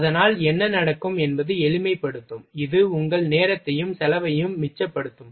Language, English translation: Tamil, And so it what will happen just it will simplify, it will save your time, and cost